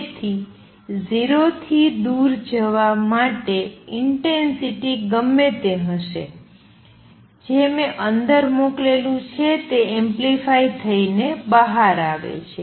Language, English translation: Gujarati, So, far going to greater than 0, intensity is going to be whatever I like sent inside is coming out amplified